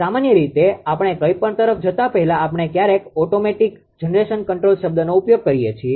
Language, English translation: Gujarati, In general actually before moving anything that sometimes we use the term automatic generation control right